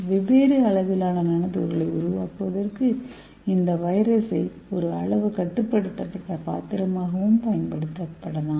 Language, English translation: Tamil, so we can uses this virus as a size constraint vessels for making different sized nano particles okay